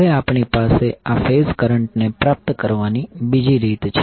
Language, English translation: Gujarati, Now we have another way to obtain these phase currents